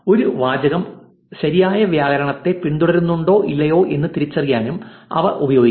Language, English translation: Malayalam, They can also be used to identify whether a sentence follows correct grammar or not